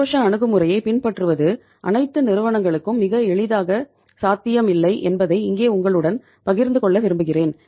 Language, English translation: Tamil, Here I would like to share with you that following the aggressive approach is not very easily possible for all the companies